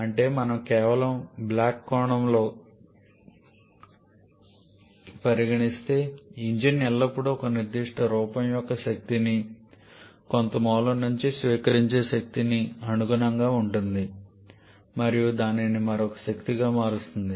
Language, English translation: Telugu, That is, if we just represent in a block sense, an engine always corresponds to the receiving energy of a certain form from some source and converting that to another form of energy